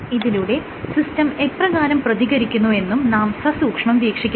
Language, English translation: Malayalam, And you see how the system responds